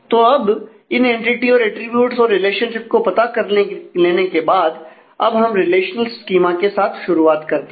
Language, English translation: Hindi, So, having done this finding having found out this entity an attributes and the relationships let us now start with a relational schema